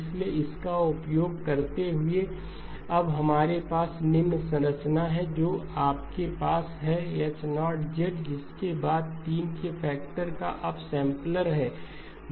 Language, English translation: Hindi, So using that we now have the following structure you have H0 of Z followed by the up sampler 3